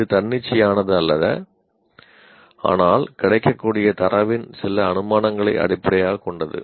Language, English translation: Tamil, And it is not any arbitrary but based on some assumptions and the data that is available